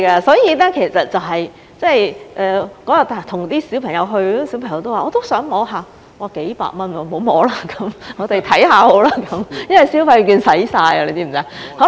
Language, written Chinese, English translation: Cantonese, 所以，當日和小朋友一起去，小朋友說也想摸一下，我說要幾百元，不要摸了，我們看看好了，因為消費券用完了，你知道嗎？, I went there with some children that day and when they said that they wanted to touch them I said no for it would cost a few hundred dollars and I told them to just take a look